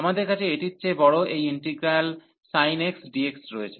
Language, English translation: Bengali, So, we have this integral bigger than this one as sin x dx